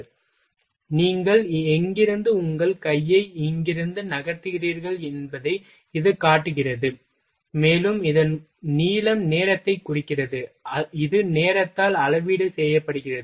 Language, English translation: Tamil, So, it shows the direction where from where you are moving your hand from here to there ok, and length of this one it denotes the time, it is calibrated by time